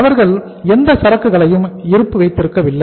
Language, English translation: Tamil, They are not keeping any inventory